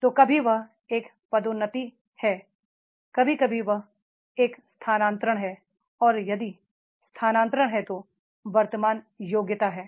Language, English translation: Hindi, So, sometimes it is a promotion, sometimes it is a transfer and if the transfer is there, then present competency is there